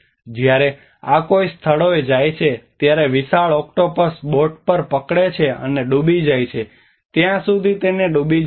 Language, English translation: Gujarati, When one goes to these places, the giant octopus holds onto the boat and sinks it till it drowns